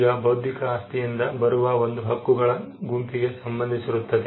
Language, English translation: Kannada, Now this could relate to a set of rights that come out of the intellectual property